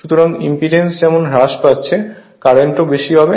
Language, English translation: Bengali, So, as impedance is getting reduced so current will be higher